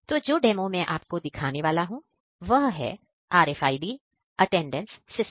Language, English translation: Hindi, So, the demo that I am going to show is about RFID based attendance system